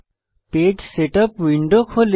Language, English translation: Bengali, The Page Setup window opens